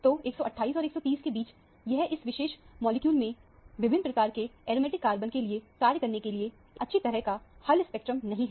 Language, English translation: Hindi, So, between 128 and 130, it is not a very well resolved spectrum to make assignments to the aromatic carbons of various type in this particular molecule